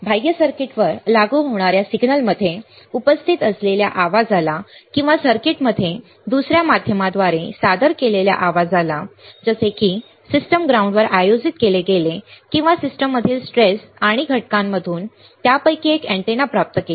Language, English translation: Marathi, External refers to noise present in the signal being applied to the circuit or to the noise introduced into the circuit by another means, such as conducted on a system ground or received one of them many antennas from the traces and components in the system